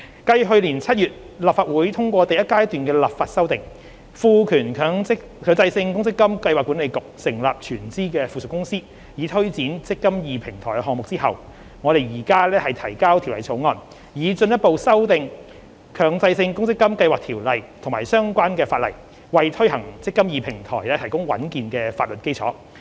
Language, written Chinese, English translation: Cantonese, 繼去年7月立法會通過第一階段的立法修訂，賦權強制性公積金計劃管理局成立全資附屬公司，以推展"積金易"平台項目後，我們現提交《條例草案》，以進一步修訂《強制性公積金計劃條例》及相關的法例，為推行"積金易"平台提供穩健的法律基礎。, Following the passage of the first - stage legislative amendments by the Legislative Council in July last year empowering the Mandatory Provident Fund Schemes Authority MPFA to set up a wholly owned subsidiary to take forward the eMPF Platform Project we now introduce the Bill to further amend the Mandatory Provident Fund Schemes Ordinance and related legislation to provide a sound legal basis for the implementation of the eMPF Platform